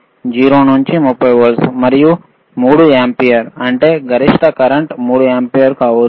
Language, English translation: Telugu, 0 to 30 volts and 3 ampere;, means, maximum current can be 3 ampere